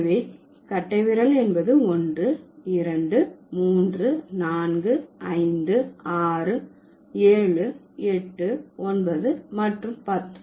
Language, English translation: Tamil, So, thumb, this is one, this is two, this is three, this is four, this is 5, this is 6, this is 7, this is 8, this is 9 and this is 10